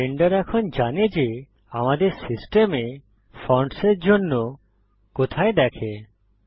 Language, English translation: Bengali, Blender now knows where to look for the fonts on our system